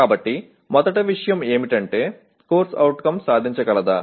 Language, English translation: Telugu, So first thing is, is the CO attainable